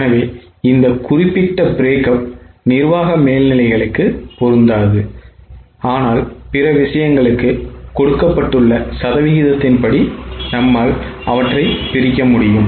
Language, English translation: Tamil, So, this particular breakup is not applicable to admin over eds, but for other things you can break them down as per the given percentage